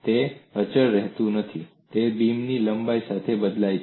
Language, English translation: Gujarati, It is not remaining constant; it is varying along the length of the beam